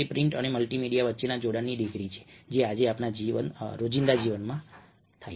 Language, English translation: Gujarati, that is the degree of linkage between a print and the multimedia that happens today in our daily lives